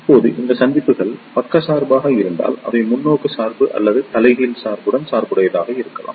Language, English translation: Tamil, Now, if these junctions are biased, they can be biased either in forward bias or in reverse bias